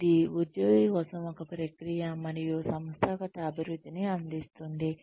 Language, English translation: Telugu, It provides a, process for employee, and organizational improvement